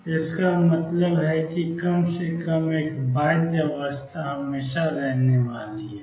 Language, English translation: Hindi, So, this means at least one bound state is always going to be there